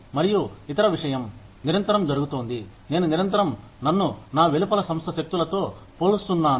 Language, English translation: Telugu, And the other thing, that is constantly happening is, I am constantly comparing myself, to forces outside my organization